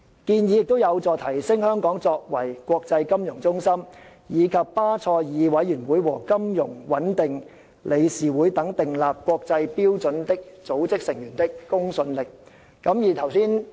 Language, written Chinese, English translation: Cantonese, 建議有助提升香港作為國際金融中心，以及巴塞爾委員會和金融穩定理事會等訂立國際標準的組織成員的公信力。, This will add to the credibility of Hong Kong both as an international financial centre and a responsible member of the international standard - setting bodies including the BCBS and the FSB